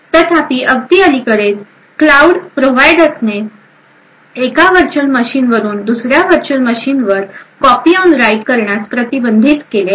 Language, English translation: Marathi, So however, very recently cloud providers have prevented copy on write from one virtual machine to another virtual machine